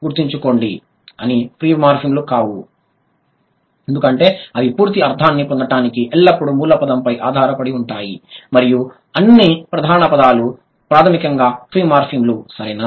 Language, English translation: Telugu, Remember, they cannot be free morphemes because they are always dependent on the root word to get the complete meaning and all the main words are basically free morphemes